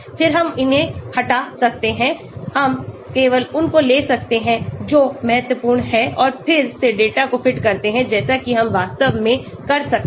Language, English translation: Hindi, Then, we can remove this , we can take only those which are important and then again fit the data like that we can do actually